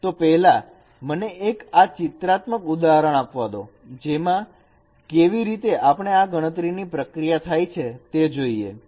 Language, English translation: Gujarati, So first let me give you a figurative examples that how this computation can be proceeded